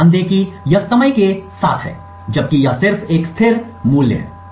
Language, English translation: Hindi, So, note that this is over time, while this is just a constant value